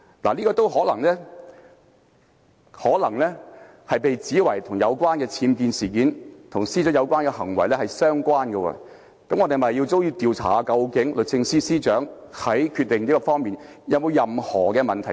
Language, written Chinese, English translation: Cantonese, 這說法也可能會被指為與僭建事件及司長的有關行為相關，那麼我們是否也要調查律政司司長在這方面的決定有沒有任何問題？, This may also be alleged to be connected with the UBWs incident and the Secretary for Justices relevant acts . So should we also investigate whether there was anything wrong with such a decision made by the Secretary for Justice?